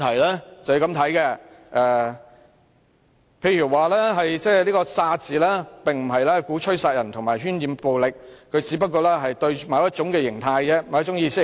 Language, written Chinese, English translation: Cantonese, 他說道，他口中的"殺"字，並非鼓吹殺人和喧染暴力，只是針對某種意識形態。, He argued that the word kill uttered by him was merely targeted at a certain ideology rather than aiming to incite killing and propagate violence